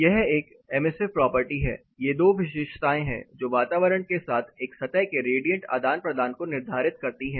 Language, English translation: Hindi, This is an emissive property; these are the two properties which determined the radiant exchange of a surface with its environment